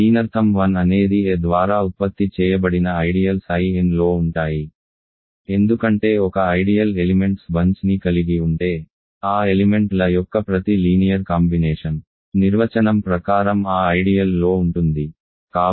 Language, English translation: Telugu, This means the ideals generated by a 1 through a n is contained in I n right because if an ideal contains a bunch of elements, every linear combination of those elements is by definition in that ideal